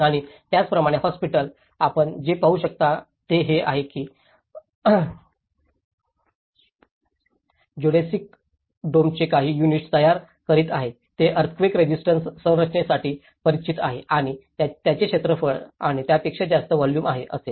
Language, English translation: Marathi, And similarly, in the hospital what you can see is that they are building some units of the geodesic domes which has known for its earthquake resistant structure and which will have less area and more volume